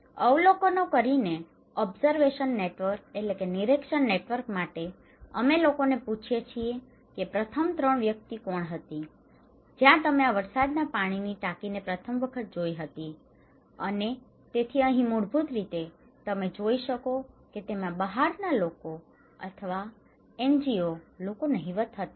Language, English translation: Gujarati, Also the observations; for observation network, we ask people that who was the first three persons where you saw first time this rainwater tank and so here also basically, you can see that outsiders or NGO people are negligible, they did not